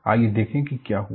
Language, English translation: Hindi, Let us look at what happened